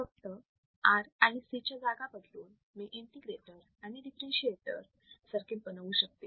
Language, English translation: Marathi, See, so just by changing the position of R and C, I can form an integrator and differentiator circuit